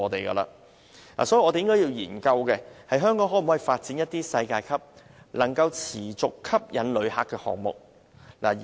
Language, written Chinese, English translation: Cantonese, 因此，我們應研究香港可否發展一些能持續吸引旅客的世界級項目。, Thus we should explore whether Hong Kong can develop some world - class attractions which can sustain visitors interests